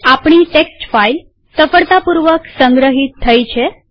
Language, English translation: Gujarati, So our text file has got saved successfully